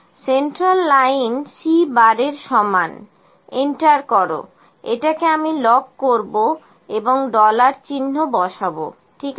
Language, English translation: Bengali, Central line is equal to C bar enter let me lock it dollar and dollar, ok